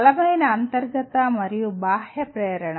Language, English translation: Telugu, Strong intrinsic and extrinsic motivation